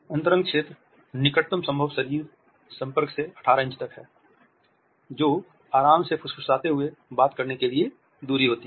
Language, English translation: Hindi, The intimate zone is from the closest possible body contact to 18 inches, which is a distance for comforting for whispering